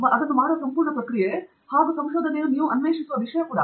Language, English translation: Kannada, And the whole process of doing it, is also something that you are discovering